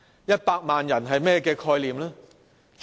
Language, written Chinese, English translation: Cantonese, 一百萬人是甚麼概念呢？, By 1 million people how should we understand it?